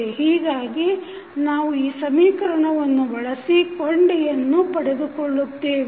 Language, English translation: Kannada, So, we use this equation and find out the links